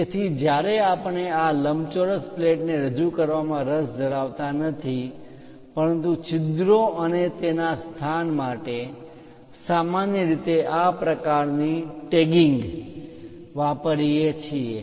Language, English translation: Gujarati, So, when we are not interested to represent this rectangular plate, but holes and their location, usually we go with this kind of tagging